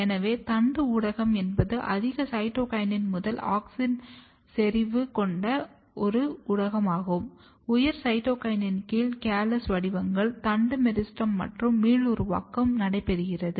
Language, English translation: Tamil, So, shooting media is a media which has high cytokinin to auxin concentration, under the influence of high cytokinin the callus forms shoot apical meristem and regeneration takes place